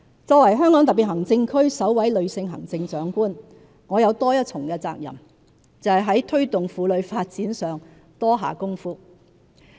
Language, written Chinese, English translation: Cantonese, 作為香港特別行政區首位女性行政長官，我有多一重責任，就是在推動婦女發展上多下工夫。, As the first female Chief Executive of HKSAR I have an extra responsibility to devote efforts to promoting womens development